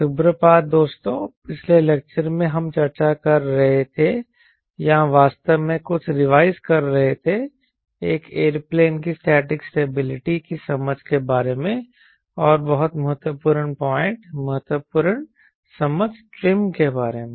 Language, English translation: Hindi, the last lecture we are discussing on effect revising few understanding about static stability of an aeroplane and also, very critical point, critical understanding about trim